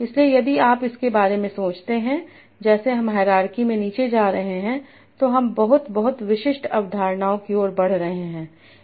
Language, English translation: Hindi, So if you think about it as we are going down in the hierarchy we are moving to very very specific concepts